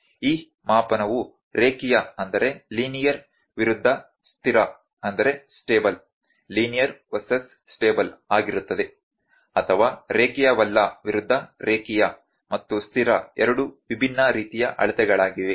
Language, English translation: Kannada, This measurement is linear versus stable or linear not is not versus linear and stable are to different kinds of measurements